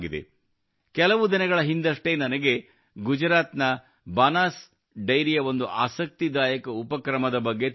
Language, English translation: Kannada, Just a few days ago, I came to know about an interesting initiative of Banas Dairy of Gujarat